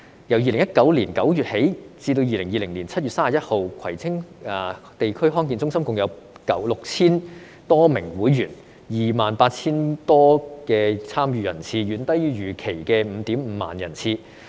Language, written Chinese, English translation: Cantonese, 由2019年9月起至2020年7月31日，葵青地區康健中心共有 6,000 多名會員 ，28,000 多參與人次，遠低於預期的 55,000 人次。, From September 2019 to 31 July 2020 the Kwai Tsing District Health Centre recorded a total of 6 000 - plus members and 28 000 activity participants the number of which was far below the expected 55 000